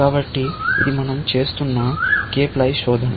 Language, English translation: Telugu, So, this is cape lie search that we are doing